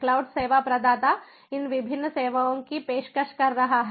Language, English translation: Hindi, sensor cloud service provider is offering these different services